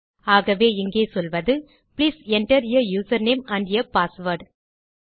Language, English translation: Tamil, So here Ill say Please enter a user name and a password